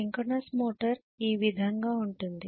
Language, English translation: Telugu, This is how the synchronous motor will be